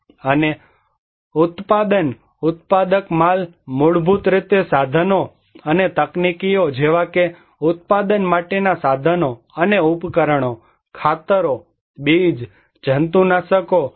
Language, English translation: Gujarati, And the production producer goods like basically tools and technologies like tools and equipments for production, fertilizers, seeds, pesticides